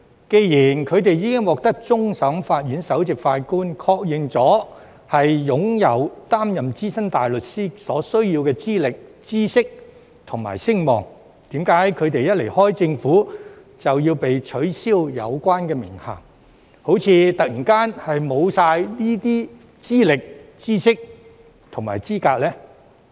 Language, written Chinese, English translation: Cantonese, 既然他們已獲終審法院首席法官確認擁有擔任資深大律師所需要的資歷、知識和聲望，為何他們一旦離開政府便要被取消有關名銜，就像這些資歷、知識和資格突然全沒了呢？, Since the Chief Justice of the Court of Final Appeal is satisfied that they have the qualifications knowledge and standing required of SC why shall their title be taken away once they leave the Government as if all these qualifications knowledge and credentials are suddenly gone?